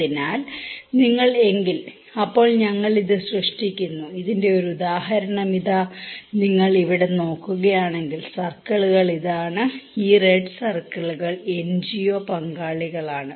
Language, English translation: Malayalam, So, if you; then we generate this; here is an example of this one, if you look into here, the circles are the; this red circles are the NGO partners